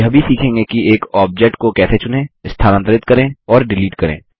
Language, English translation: Hindi, You will also learn how to:Select, move and delete an object